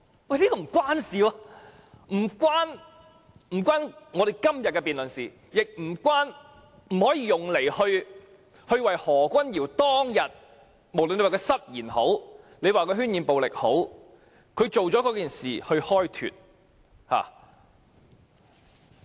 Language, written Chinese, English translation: Cantonese, 這其實並不相關，既與今天的辯論無關，也不可用作為何君堯議員當天的行為開脫，不管他是失言還是渲染暴力。, This argument is in fact irrelevant to the subject under debate today and neither can it be used as an excuse to absolve Dr Junius HO from his responsibility for what he has done that day no matter it is a slip of tongue or an exaggeration of violence